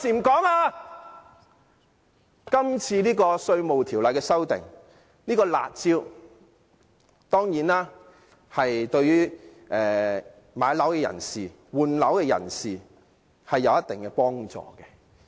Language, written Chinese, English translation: Cantonese, 今次《條例草案》的修訂涉及的"辣招"對買樓和換樓的人當然有一定幫助。, The curb measure in this Bill will certainly help property buyers and people replacing their homes